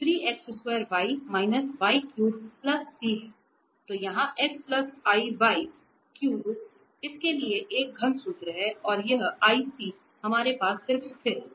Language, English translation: Hindi, So, it is a cubic formula for this x plus iy power 3 and this ic we have just a constant there